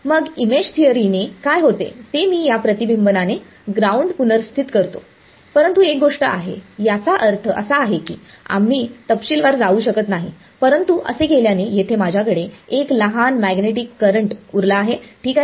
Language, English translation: Marathi, And, then what happens by image theory is, I replace the ground by the reflection of this, but there is one thing I mean we will not go into the detail, but as a result of doing this, I am left with a small magnetic current over here ok